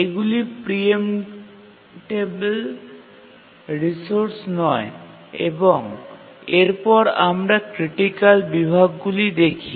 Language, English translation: Bengali, These are the non preemptible resources and also we'll look at the critical sections